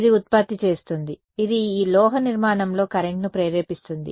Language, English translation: Telugu, It will generate, it will induce a current in this metallic structure right